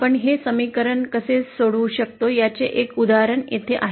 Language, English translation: Marathi, So here is an example of how we can solve this equation